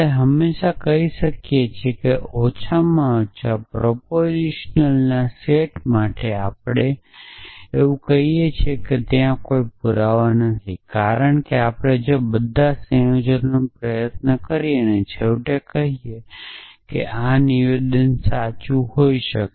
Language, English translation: Gujarati, We can always say that at least for finites set of propositions we can always say that there is no proof, because we try all combinations and eventually say that there is no way that this can this statement can be true